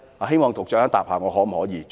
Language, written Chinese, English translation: Cantonese, 希望局長稍後回應我。, I hope the Secretary will respond to me later